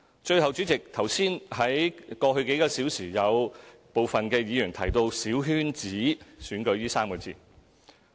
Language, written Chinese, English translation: Cantonese, 最後，主席，在過去數小時，部分議員提到"小圈子"選舉這3個字。, Lastly President some Members have mentioned the term coterie election in the past few hours